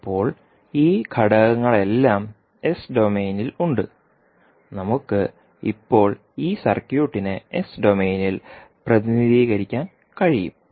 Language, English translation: Malayalam, So now we have all these elements in s domain we can represent this circuit in s domain now